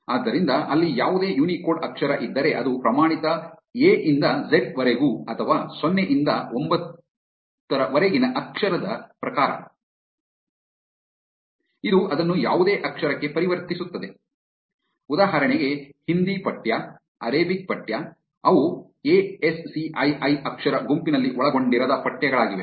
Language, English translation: Kannada, So, if there is any Unicode character in there which is not the standard a to z or 0 to 9 kind of a character, this will convert it to the whatever character it is, for example, Hindi text for example, Arabic text; those are text which are not contained in the ASCII character set